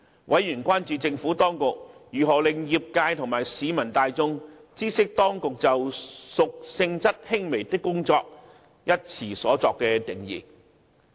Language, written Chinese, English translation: Cantonese, 委員關注政府當局如何令業界及市民大眾知悉當局就"屬性質輕微的工作"一詞所作的定義。, Concern was raised about how the Administration would make known to the trade and the general public the definition of works of a minor nature given by the authorities